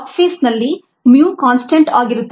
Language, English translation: Kannada, in the log phase mu is a constant